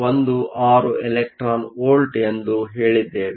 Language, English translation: Kannada, 16 electron volts